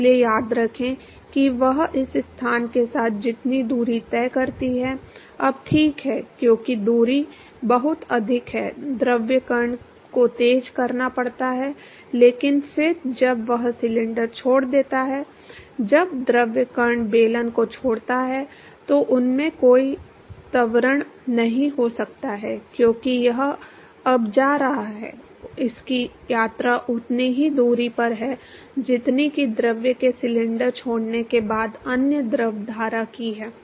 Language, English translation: Hindi, So, remember that the distance that it travels along this location ok now because the distance is much larger the fluid particle has to accelerate, but then when it leaves the cylinder; when the fluid particle leaves the cylinder it has it cannot have any acceleration because it is now going to it has its travelling the same distance as that of the other fluid stream after the fluid has left the cylinder